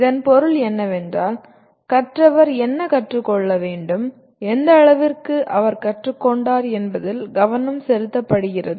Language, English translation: Tamil, What it means is, the focus is on what the learner should learn and to what extent he has learnt